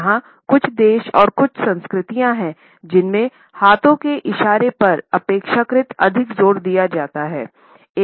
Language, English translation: Hindi, There are certain countries and certain cultures in which there is relatively more emphasis on the movement of hands